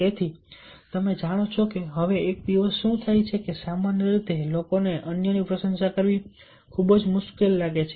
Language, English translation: Gujarati, so you know nowadays what happens: that generally people find it very difficult to appreciate others